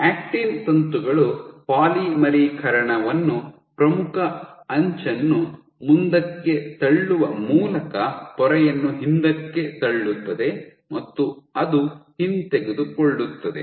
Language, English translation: Kannada, So, actin filaments put polymerizing pushing the leading edge forward the membrane pushing it back and it is retracting